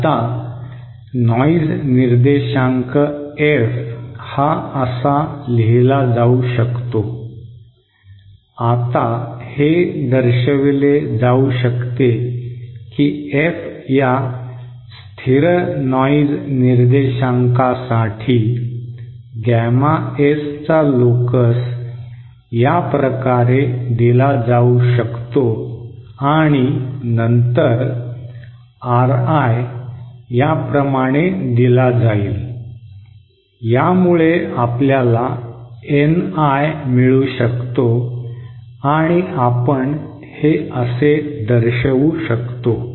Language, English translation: Marathi, Now this noise figured f can be written asÉNow it can be shown that for a contestant noise figure F is equal to constant the locus of gamma S will be given as and then this RI is given by like thisÉ which this NI is given by this relationship and we can show this is like this